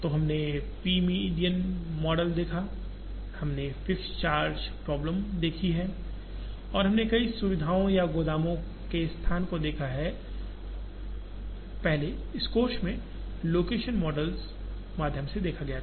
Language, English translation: Hindi, So, we have seen the p median model, we have seen the fixed charge problem and we have seen location of multiple facilities or location of warehouses, earlier in this course through the location models